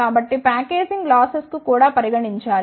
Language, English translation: Telugu, So, the packaging losses should also be considered